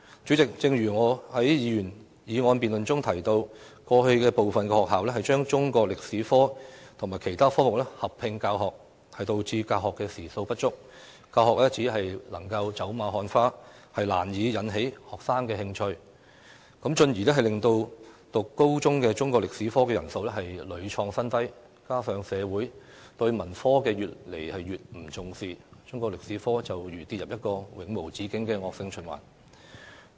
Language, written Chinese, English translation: Cantonese, 主席，正如我在該項議員議案辯論中提到，過去有部分學校把中國歷史科與其他科目合併教學，導致教學時數不足，教學只能走馬看花，難以引起學生的興趣，進而令修讀高中中國歷史科的人數屢創新低，加上社會對文科越來越不重視，中國歷史科便如跌入一個永無止境的惡性循環。, President as I mentioned during the debate on that Members motion some schools have been teaching Chinese History and other subjects as a combined subject leading to insufficient teaching hours for Chinese History . As a result it is only taught in a perfunctory and superficial manner that can hardly arouse students interest . This has in turn caused the number of students taking Chinese History at senior secondary level to hit record lows repeatedly